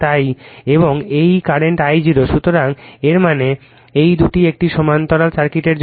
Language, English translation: Bengali, So, the this means these two in for these to a parallel circuits